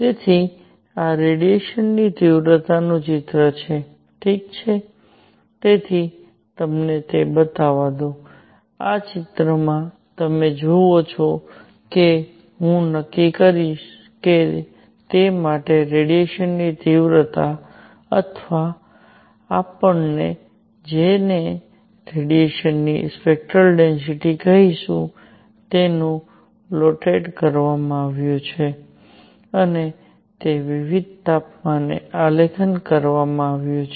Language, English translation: Gujarati, So, this is the image of intensity of radiation, alright, so let me also show it to you; this is the image which you see and I will decide if it for in which intensity of radiation or what we will call spectral density of radiation is plotted and it is plotted at different temperatures